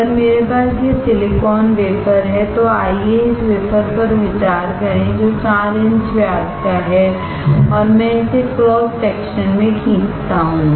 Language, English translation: Hindi, If I have this silicon wafer, let us consider this wafer which is 4 inch in diameter, and I draw it’s cross section